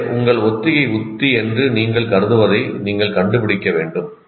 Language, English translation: Tamil, So you have to find what you consider your rehearsal strategy